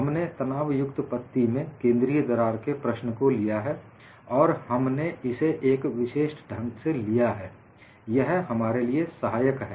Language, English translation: Hindi, We have looked at the problem of a center crack at a tension strip and we have also looked at it in a particular fashion; this helped us